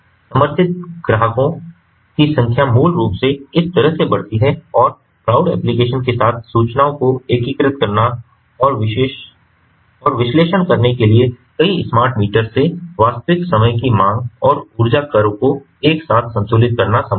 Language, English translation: Hindi, the number of supported customers basically increase that way and with the cloud applications, it is possible to integrate and analyze the information that streams from multiple smart meters simultaneously in order to balance the real time demand and energy curves